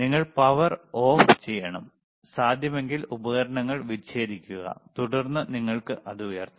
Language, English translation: Malayalam, You have to switch off the power right, disconnect the equipment if possible and then you can lift it, all right